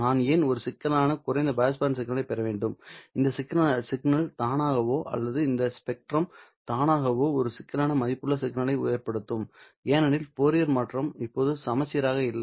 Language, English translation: Tamil, Well, this signal by itself or this spectrum by itself will result in a complex valued signal because the Fourier transform is now not symmetric